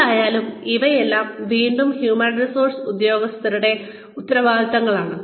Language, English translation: Malayalam, So anyway, all of these things are again, these are the responsibilities of the human resources personnel